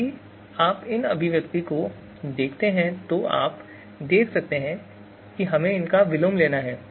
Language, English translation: Hindi, So you see this expression we are supposed to take the inverse of it